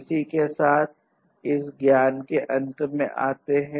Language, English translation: Hindi, With this we come to an end of this lecture